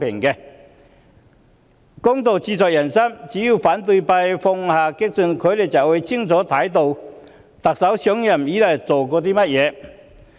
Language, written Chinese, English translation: Cantonese, 公道自在人心，只要反對派放下激進，就能清楚看到特首上任以來所做的工作。, If only opposition Members would cast aside their radicalism they would have seen clearly what the Chief Executive has done since assuming office